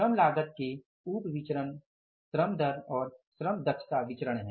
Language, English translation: Hindi, So, sub variances of the labor cost variances are the labor rate of pay variance and the labor efficiency variance